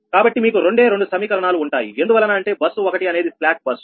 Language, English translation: Telugu, so you have only two equation, because bus one is a slack bus